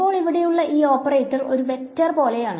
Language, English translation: Malayalam, Now this operator over here is very much like a vector